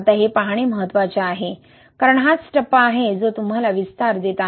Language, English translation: Marathi, Now it is important to look into, because this is it, this is the phase that is giving you expansion, right